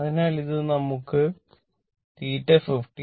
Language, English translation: Malayalam, So, from this you are getting theta is equal to 52